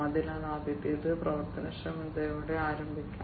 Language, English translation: Malayalam, So, the first one will start with is operational efficiency